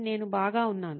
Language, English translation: Telugu, I am doing well